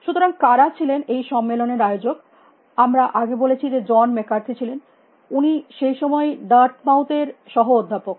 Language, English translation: Bengali, So, who are the organizes of this conference, we have already said that they were John McCarthy, he was then and assistant professor at Dartmouth